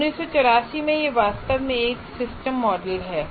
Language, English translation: Hindi, So from 1984, it is a truly system model